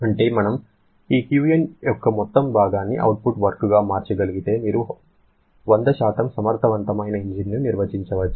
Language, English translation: Telugu, That means if we can convert entire portion of this Q in to output work then you can define a 100% efficient engine